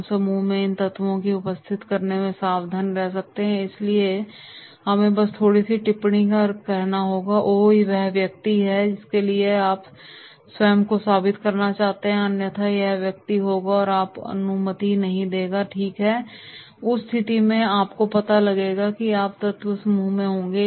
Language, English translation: Hindi, We can use the opportunity to caution the group about the presence of these elements in the group and therefore we have to say just by the slight comment that is “Oh, that person is there so now you have to also prove yourself otherwise that person will not allow you, right” and therefore in that case you will find that is these elements will be there in the group